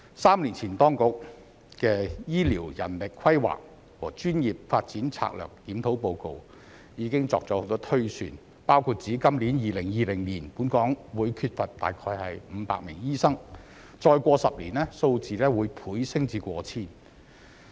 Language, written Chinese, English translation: Cantonese, 三年前當局的《醫療人力規劃和專業發展策略檢討》報告已作了很多推算，包括指今年2020年本港會缺少約500名醫生，再過多10年，數字會倍增至過千名。, The Report of the Strategic Review on Healthcare Manpower Planning and Professional Development issued by the authorities three years ago already contains quite a number of projections including one about a shortfall of approximately 500 doctors in Hong Kong by this year or 2020 and the figure will be doubled to over 1 000 in 10 years